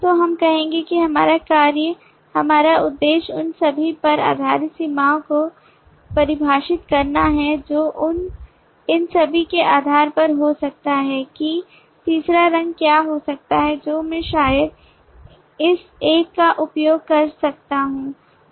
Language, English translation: Hindi, so we will say that our task our objective is to define the boundary based on these interactions based on all these what else could be a third colour that i might use maybe this one